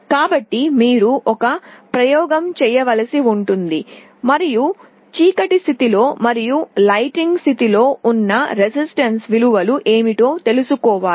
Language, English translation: Telugu, So, you will have to do an experiment and find out what are the resistance values in the dark state and in the light state